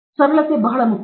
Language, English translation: Kannada, Therefore, simplicity is very important